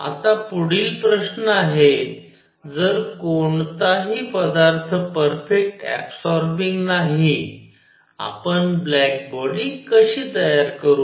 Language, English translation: Marathi, Now next question is; if there is no material that is a perfect absorber; how do we make a black body